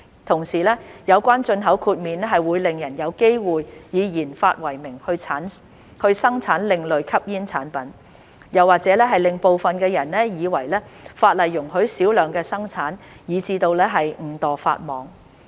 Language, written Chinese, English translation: Cantonese, 同時，有關進口豁免會令人有機會以研發為名生產另類吸煙產品，又或者令部分人以為法例容許小量生產，以致誤墮法網。, Meanwhile the import exemption will give people an opportunity to produce ASPs under the pretext of research and development or make some people think that production in small quantities is allowed under the law thus causing them to violate the law inadvertently